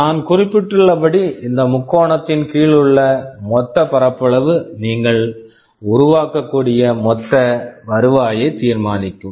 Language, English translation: Tamil, And as I mentioned the total area under this triangle will determine the total revenue that you can generate